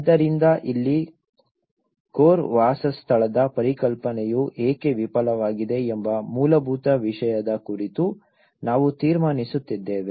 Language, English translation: Kannada, So here, what we are concluding on the very fundamental why the core dwelling concept have failed